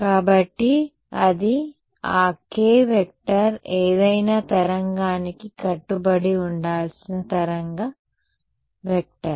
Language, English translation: Telugu, So, this is that k vector, the wave vector that has to be obeyed by any wave